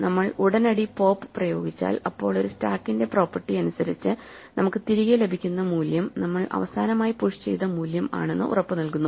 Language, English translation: Malayalam, For instance if we have a stack s and we push value v then the property of a stack guarantees that if we immediately apply pop the value we get back is our last value push and therefore we should get back v